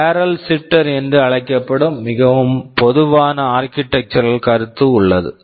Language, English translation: Tamil, And there is something called a barrel shifter which that is a very common architectural concept